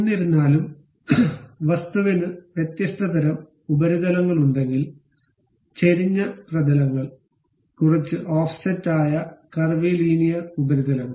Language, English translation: Malayalam, However, if object have different kind of surfaces; inclined surfaces, curvy linear surfaces which are bit offset